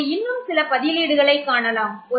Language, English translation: Tamil, Now let us look at some more substituents